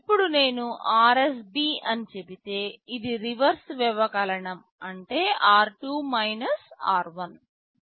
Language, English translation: Telugu, Now, if I say RSB this stands for reverse subtract this means r2 r1